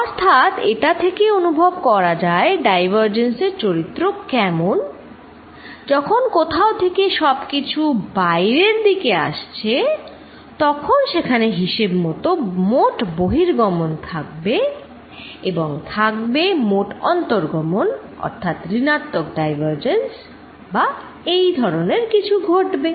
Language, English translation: Bengali, So, this kind of gives you a feel for what diversion behaviour is, divergence behaviour is going to be when something everything is going out or there is a net outflow or there is a net inflow this negative divergence or something going in